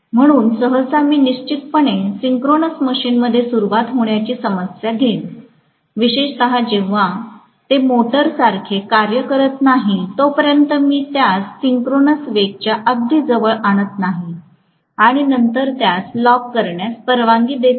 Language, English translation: Marathi, So, generally I am going to have definitely, you know a problem of starting in the synchronous machine, especially when it is working as a motor unless I kind of bring it very close to the synchronous speed and then allow it to lock up